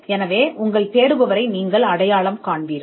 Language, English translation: Tamil, So, you would identify your searcher